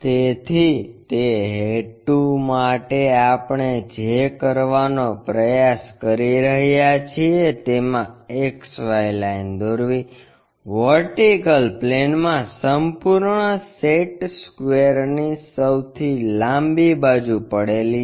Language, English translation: Gujarati, So, for that purpose what we are trying to do is draw an X Y line, in the vertical plane the entire set square the longest one lying